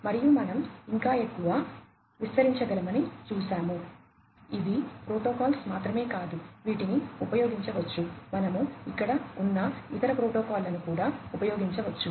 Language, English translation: Telugu, And, we have seen that there is much more we could expand even further these are not the only protocols, that could be used; we could even use different other protocols that are out there